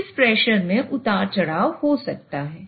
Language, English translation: Hindi, So this pressure might have fluctuations